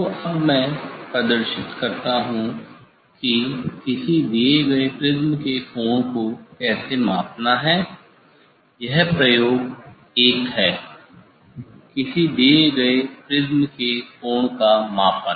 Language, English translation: Hindi, So now, I will demonstrate how to measure the angle of a given prism this is the experiment 1; measurement of angle of a given prism